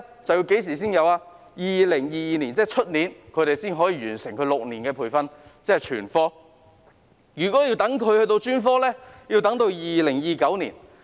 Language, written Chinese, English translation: Cantonese, 就是要到2022年，即在明年才可以完成6年的全科培訓，而如果要等他們完成專科便要等到2029年。, It will be 2022 . They will complete their six - year medicine programme next year and we will have to wait until 2029 for them to complete the specialist programme